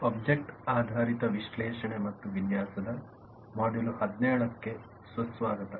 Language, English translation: Kannada, welcome to module 17 of object oriented analysis and design